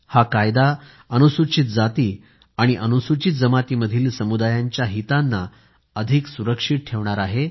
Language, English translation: Marathi, This Act will give more security to the interests of SC and ST communities